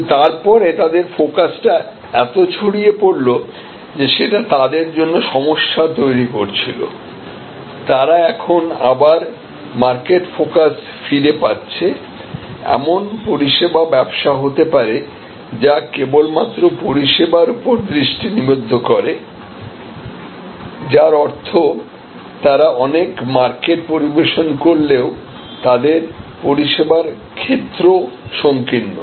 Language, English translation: Bengali, But, they became kind of very widely focused and that was creating problem for them, they are now again getting back to a market focus, there can be business service business which are just focused on the service, which means they serve many markets, they serve many markets, but they are service offering is narrowly defined